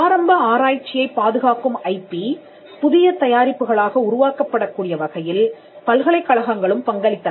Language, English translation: Tamil, Universities also contributed in a way that the IP that protected the initial research could be developed into new products